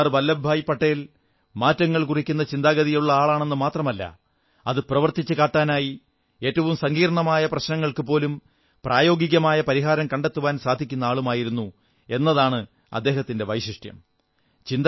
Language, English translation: Malayalam, Sardar Vallabhbhai Patel's speciality was that he not only put forth revolutionary ideas; he was immensely capable of devising practical solutions to the most complicated problems in the way